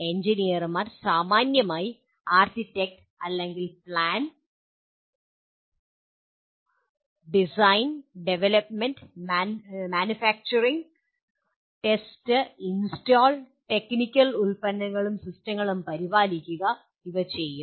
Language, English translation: Malayalam, Engineers broadly architect or plan, design, develop, manufacture, test, install, operate and maintain technological products and systems